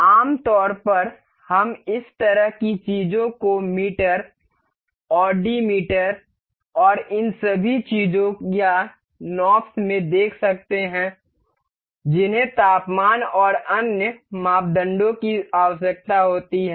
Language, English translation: Hindi, Generally, we can see such kind of things in meters, the odometers and all these things or knobs that required setting of temperatures and other parameters